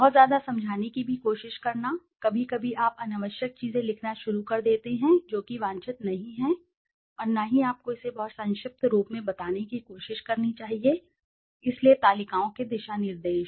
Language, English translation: Hindi, Too much trying to explain too much also, sometimes you start writing unnecessary things which is not wanted and neither you should be trying to make it extremely brief also, so guidelines of the tables